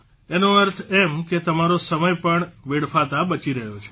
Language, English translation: Gujarati, Meaning, your time is also saved